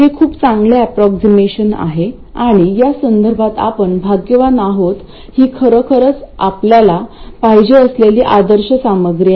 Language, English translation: Marathi, It's a very good approximation and in this respect we are lucky it is actually exactly the ideal stuff that we want